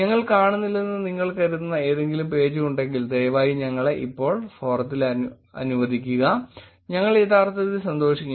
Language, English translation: Malayalam, Again if there's any page that you think we are missing please let us now in the forum, we will be actually happy